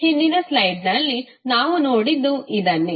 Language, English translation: Kannada, This is what we saw in the previous slide